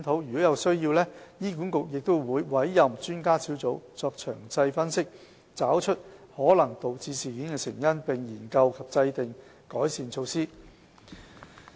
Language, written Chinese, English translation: Cantonese, 如有需要，醫管局會委任專家小組作詳細分析，以找出可能導致事件的成因，並研究及制訂改善措施。, Where necessary HA will appoint an expert panel to conduct detailed analysis with a view to identifying the possible causes of the incidents and exploring and formulating improvement measures